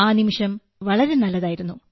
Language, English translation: Malayalam, That moment was very good